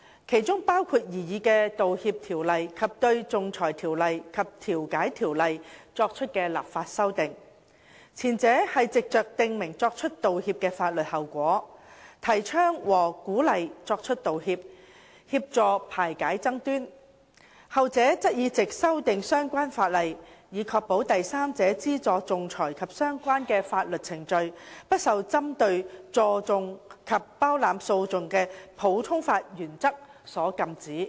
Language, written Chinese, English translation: Cantonese, 其中包括擬議的道歉法例及對《仲裁條例》及《調解條例》作出的立法修訂，前者是藉着訂明作出道歉的法律後果，提倡和鼓勵作出道歉，協助排解爭端。後者則是藉修訂相關法例，以確保第三者資助仲裁及相關的法律程序，不受針對助訟及包攬訴訟的普通法原則所禁止。, The proposed apology legislation sought to promote and encourage the making of apologies in order to facilitate settlement of disputes by stating the legal consequences of making an apology while the legislative amendments to the Arbitration Ordinance and Mediation Ordinance sought to ensure that third party funding of arbitration and associated proceedings was not prohibited by the common law doctrines of maintenance and champerty